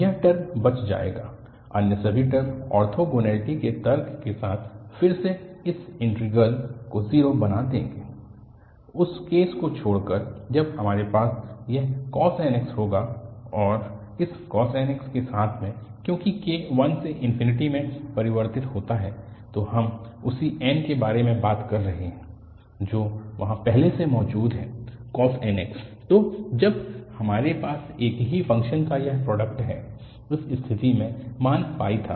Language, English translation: Hindi, This term will survive, all other terms with the argument of the orthogonality will again make this integral 0, except the case when we have this cos nx and together with this cos nx, because k varies from 1 to infinity, so we are talking about the same n, what is already there, cos nx